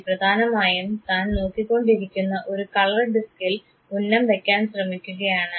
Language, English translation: Malayalam, This boy is primarily trying to aim at the color disk that he is looking at